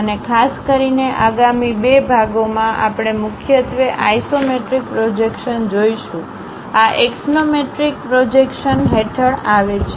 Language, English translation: Gujarati, And specifically in the next two two sections, we will look at isometric projections mainly; these come under axonometric projections